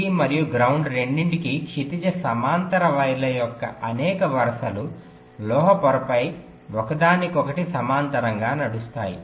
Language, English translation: Telugu, it says that several rows of horizontal wires, for both vdd and ground, run parallel to each other on metal layer